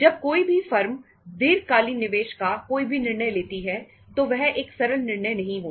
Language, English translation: Hindi, When any firm makes or takes a decisions regarding the long term investment, itís not a simple decision